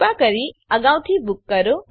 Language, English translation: Gujarati, Please book in advance